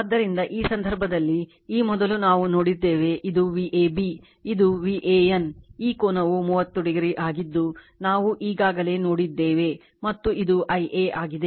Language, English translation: Kannada, So, in this case , earlier we have seen this is V a b this is your V a n; this angle is 30 degree this is already we have seen before and this is I a right